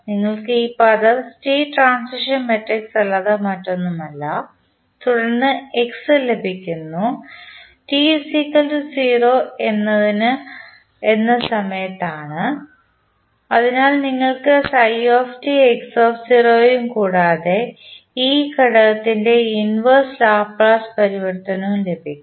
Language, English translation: Malayalam, You get this term nothing but the state transition matrix and then you get x at time t is equal to 0, so you get phi t x0 plus the inverse Laplace transform of this component